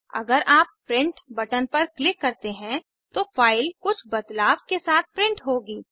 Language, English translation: Hindi, If you click on Print button, the file will be printed with the changes made